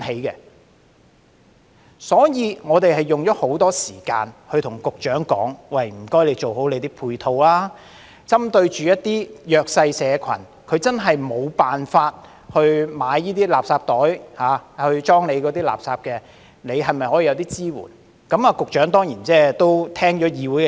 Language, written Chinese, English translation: Cantonese, 為此，我們花了很多時間與局長討論，要求他做好配套，針對一些弱勢社群，他們確實無法購買垃圾袋裝妥垃圾，當局是否可以提供一些支援呢？, In this connection we have spent a lot of time discussing with the Secretary asking him to provide proper support and consider offering some kind of assistance to the disadvantaged groups who really cannot afford to buy designated bags for their garbage